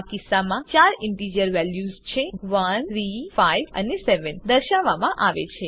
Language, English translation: Gujarati, In this case, four integer values, namely, 1, 3, 5 and 7 are displayed